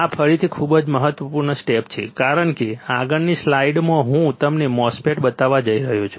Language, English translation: Gujarati, This again very important step because next slide I am going to show you the MOSFET